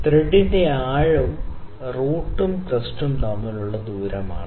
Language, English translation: Malayalam, So, the depth of thread is the distance between the crest and root